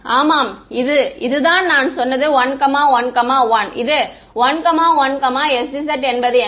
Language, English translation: Tamil, Yeah I have said this is this is 1 1 1this is 1 1 s z on on what